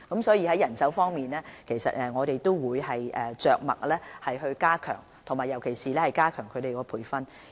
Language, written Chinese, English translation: Cantonese, 所以，在人手方面，我們會着墨更多，尤其是加強人員培訓。, Therefore we will pay greater attention to manpower in particular strengthening the training of staff